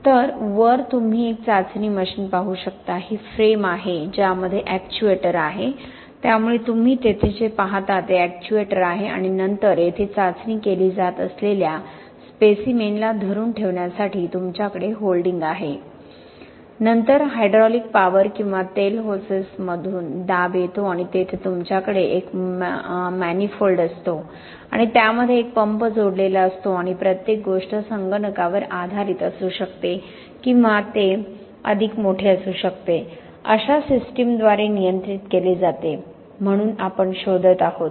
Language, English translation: Marathi, So on this screen you see a testing machine, this is the frame which will have the actuator, so what you see here is the actuator and then you have grips for holding on to the specimen here that is being tested, then the hydraulic power or the oil pressure comes in through this hoses and here you have a manifold and to this a pump is attached and everything is being controlled by system which you see here, which could be computer based or it could be larger, having a larger controller, so we are going to be looking at systems like this and see how they act and what is this closed loop and what are the advantages